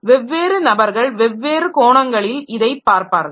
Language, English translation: Tamil, So, different people will look at it from different angles